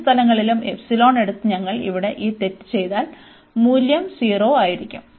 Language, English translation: Malayalam, But, if we do this mistake here by taking the epsilon at both the places, then the value is coming to be 0